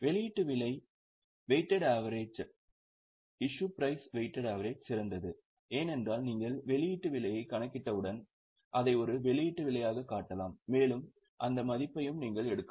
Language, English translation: Tamil, Issue price, weighted average is better because once you calculate the issue price you can show it as an issue price and you can also take that value